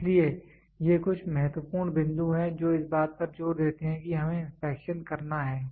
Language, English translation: Hindi, So, these are some of the important points which insist that we have to do inspection